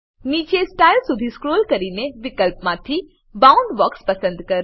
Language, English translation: Gujarati, Scroll down to Style, and select Boundbox from the options